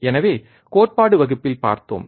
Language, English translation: Tamil, So, we have seen in the theory class